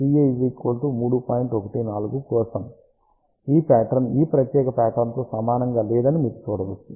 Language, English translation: Telugu, 14, you can see that this pattern is not similar to this particular pattern